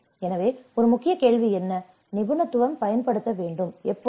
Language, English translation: Tamil, So, the main question is what expertise to use and when